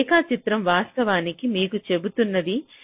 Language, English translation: Telugu, so this diagram actually tells you that